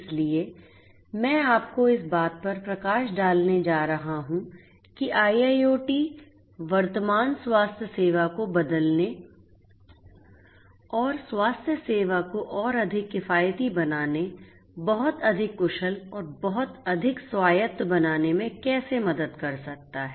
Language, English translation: Hindi, So, I am going to give you the highlights of how IIoT can help in transforming present day health care and making healthcare much more affordable, much more efficient and much more autonomous